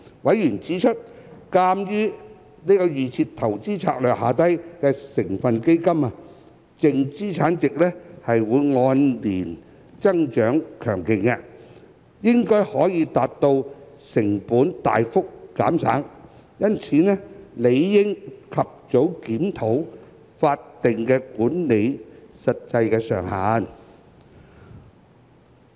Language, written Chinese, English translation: Cantonese, 委員指出，鑒於預設投資策略下成分基金的淨資產值按年增長強勁，應該可達到成本大幅減省，因此理應及早檢討法定管理費的實際上限。, Members have pointed out that given the strong annual growth of the net asset values of the constituent funds under DIS it should be possible to achieve tremendous cost savings and thus an early review of the actual statutory management fee cap is warranted